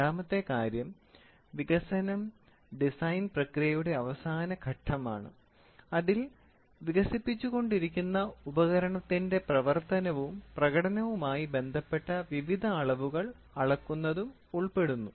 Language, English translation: Malayalam, The second thing is development is a final stage of the design procedure involving the measurement of various quantities obtaining to operation and performance of the device being developed